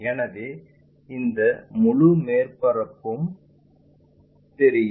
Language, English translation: Tamil, So, this entire surface will be visible